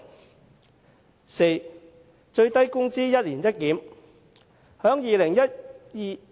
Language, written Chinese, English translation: Cantonese, 第四，為最低工資進行"一年一檢"。, Fourth conducting annual reviews of the minimum wage rate